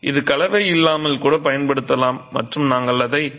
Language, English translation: Tamil, It could be used even without mortar and we refer to that as dry stack masonry